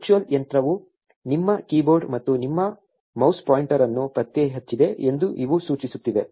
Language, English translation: Kannada, These are just indicating that the virtual machine has detected your keyboard and your mouse pointer